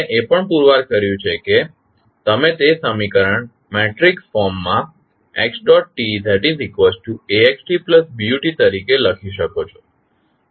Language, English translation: Gujarati, And, we also stabilized that the equation you can write in the matrix form as x dot is equal to ax plus bu